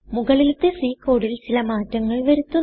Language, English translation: Malayalam, I can make a few changes to the above C code